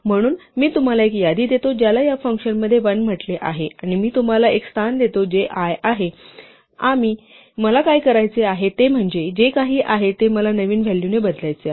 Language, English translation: Marathi, So, I give you a list which is called in this function l and I give you a position which is i and what I want to do is I want to replace whatever is there by a new value v